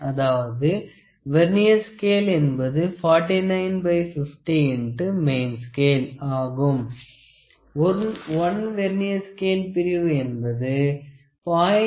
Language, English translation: Tamil, That implies Vernier scale is equal to 49 by 50 of main scale; that means, 1 Vernier scale division is equal to it is about it is 0